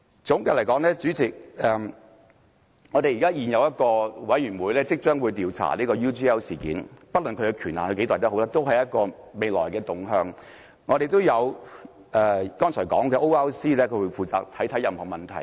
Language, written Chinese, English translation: Cantonese, 總括而言，代理主席，我們會成立一個委員會調查 UGL 事件，不論其權限有多大，這都是一個未來的方向；我們亦有剛才說的 ORC 會負責審視任何問題。, In conclusion Deputy President our discussion is about setting up a select committee to inquire into the UGL incident and no matter how broad its ambit is this will still be our future direction . But as we mentioned earlier ORC will also oversee any questions concerned